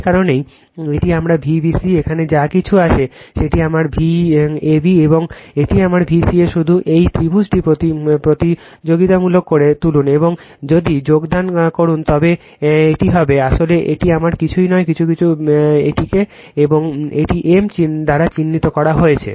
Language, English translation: Bengali, That is why this is my V bc whatever is here that is my V ab and this is my V ca just you make competitive this triangle and if, you join all it will be same actually this is my same some your something is marked this as a m right